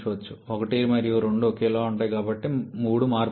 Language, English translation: Telugu, So, 1 and 2 remains same but 3 there is a change